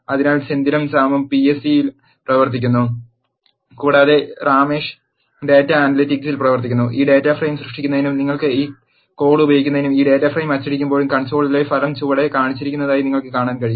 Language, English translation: Malayalam, So, Senthil and Sam is working in PSE and Ramesh is working in data analytics, to create this data frame you can use this code and when you print this data frame, you can see the result in the console has shown below